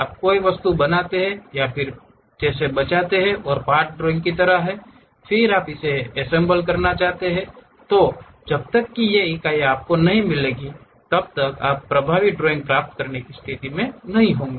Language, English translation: Hindi, You create something object, save it like part drawing, then you want to really make it assemble unless these units meets you will not be in a position to get effective drawing